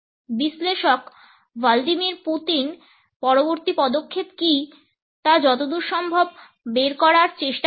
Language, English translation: Bengali, As far the analyst trying to figure out what Vladimir Putin’s next move is